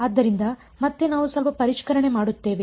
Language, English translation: Kannada, So again we will do a little bit of revision